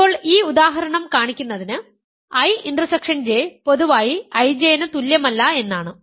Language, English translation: Malayalam, And now this example shows that, I intersection J is in general not equal to I J